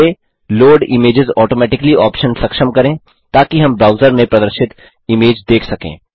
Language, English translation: Hindi, First, lets enable the Load images automatically option, so that we can view the images displayed in the browser